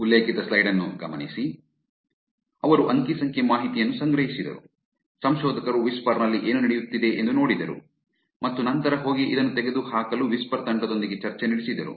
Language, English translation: Kannada, So, they collected the data, the researchers looked at what is going on whisper and then went and had discussion with whisper team to remove this